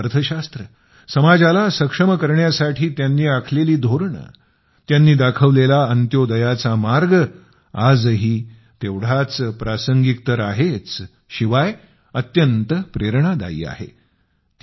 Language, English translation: Marathi, His economic philosophy, his policies aimed at empowering the society, the path of Antyodaya shown by him remain as relevant in the present context and are also inspirational